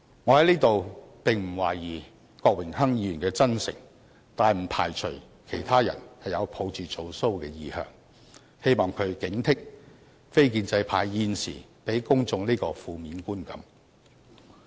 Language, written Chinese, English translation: Cantonese, 我在此並不懷疑郭議員的真誠，但不排除其他人是抱着"做騷"的意向，希望他警惕非建制派現正給予公眾這個負面觀感。, I have no doubt about Mr KWOKs sincerity but I do not rule out the possibility that his peers were inclined to put on a show . I hope he can alert the non - establishment camp that it is now giving the public this negative impression